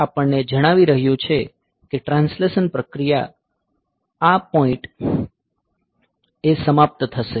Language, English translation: Gujarati, So, this is telling that there is translation process will be ending at this point